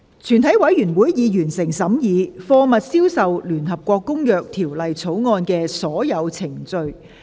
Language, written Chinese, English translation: Cantonese, 全體委員會已完成審議《貨物銷售條例草案》的所有程序。, All the proceedings on the Sale of Goods Bill have been concluded in committee of the whole Council